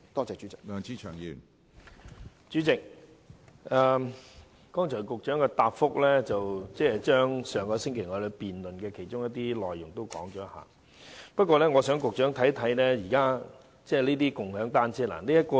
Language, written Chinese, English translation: Cantonese, 主席，局長在剛才的答覆中重複了上星期議案辯論的部分內容，但我想讓局長看看這些有關共享單車服務的圖片。, President in his reply the Secretary simply repeats some of the points covered in the motion debate last week . But I want to show the Secretary some photographs about the bike - sharing service